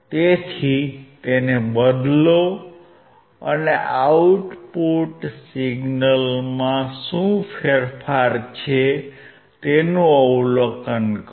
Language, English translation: Gujarati, So, change it and observe what is the change in the output signal